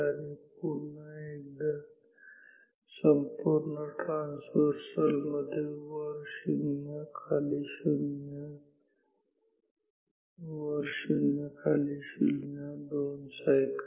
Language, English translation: Marathi, Once again in one computes traversal up 0 down 0 up 0 down 0 so, 2 cycles